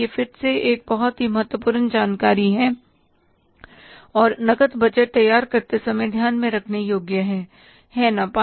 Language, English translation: Hindi, This is again a very important information and worth taking into a consideration while preparing the cash budget